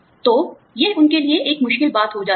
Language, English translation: Hindi, So, it becomes a difficult thing for them